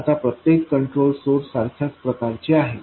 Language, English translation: Marathi, Now every control source is of the same type